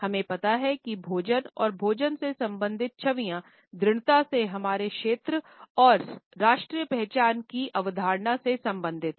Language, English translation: Hindi, At the same time we find that food and food related images are strongly related to our concept of territory and national identity